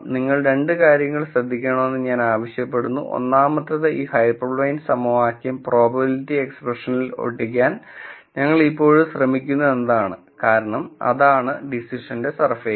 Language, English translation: Malayalam, I want you to notice two things number one is still we are trying to stick this hyperplane equation into the probability expression because, that is the decision surface